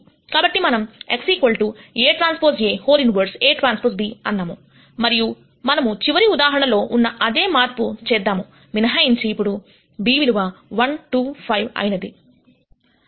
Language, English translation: Telugu, So, we said x equal to a transpose A inverse A transpose b and we do the same manipulation as the last example except that this b has become 1 2 5 now